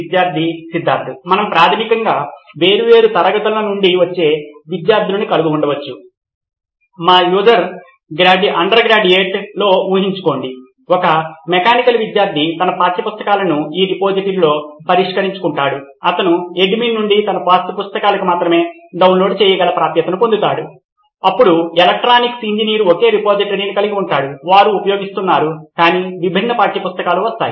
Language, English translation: Telugu, We can have students coming from different subjects basically, imagine in our UG, a mechanical student would have his textbooks fixed in this repository, he would get downloadable access only to his textbooks from the admin, then electronics engineer would have, would be using the same repository but different set of text books would be coming in